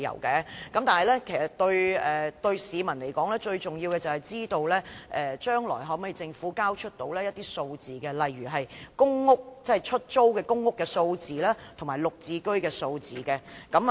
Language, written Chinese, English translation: Cantonese, 其實對市民來說，最重要的是政府將來能否提交一些數字，例如出租公屋和"綠置居"單位的數字。, To members of the public actually what matters most is whether the Government can present some figures such as the numbers of PRH and GSH units in the future